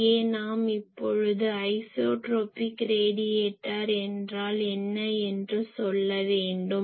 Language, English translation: Tamil, And here we want to say that what is isotropic radiator